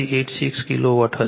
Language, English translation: Gujarati, 4586 Kilo Watt